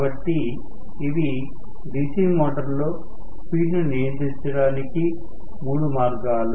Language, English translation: Telugu, So, these are the 3 methods of DC motor speed control